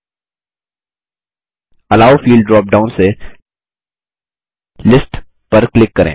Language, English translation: Hindi, From the Allow field drop down, click List